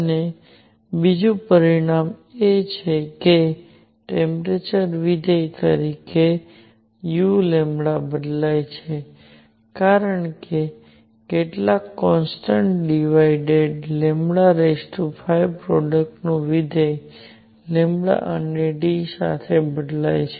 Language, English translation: Gujarati, And a second result is that u lambda as a function of temperature varies as some constant divided by lambda raise to 5 times a function of the product lambda and T